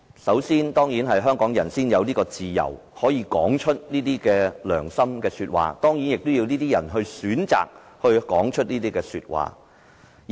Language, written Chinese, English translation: Cantonese, 首先，只有香港人才可以自由說出良心說話，而這當然也要有人選擇說出良心說話。, Firstly only Hong Kong people can speak freely according to their conscience and of course that depends on how many people are willing to do so